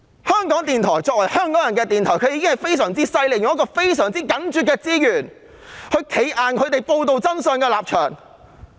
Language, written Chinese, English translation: Cantonese, 香港電台作為香港人的電台，確實非常厲害，以非常緊絀的資源堅守報道真相的立場。, Asking people to hire him for making a video clip what a big joke! . As a radio station of Hongkongers RTHK is really something which remains firmly committed to reporting the truth despite tight resources